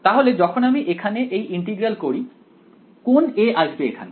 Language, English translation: Bengali, So, when I do the integral over here which of the a s will appear